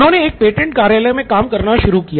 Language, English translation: Hindi, So he started working at a patent office